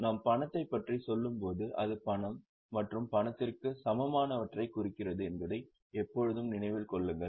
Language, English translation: Tamil, Always keep in mind that when we say cash it refers to cash and cash equivalents